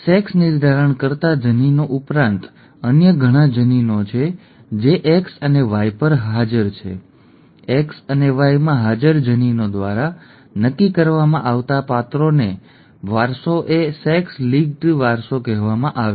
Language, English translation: Gujarati, In addition to sex determining genes, there are many other genes that are present on X and Y, the inheritance of characters determined by the genes present in X and Y is what is called sex linked inheritance